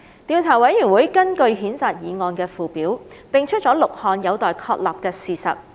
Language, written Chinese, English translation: Cantonese, 調査委員會根據譴責議案的附表，定出了6項有待確立的事實。, Based on the Schedule to the censure motion the Investigation Committee has identified six facts to be established